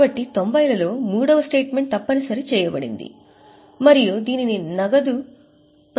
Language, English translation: Telugu, So, a third statement was made mandatory in 90s and that is known as cash flow statement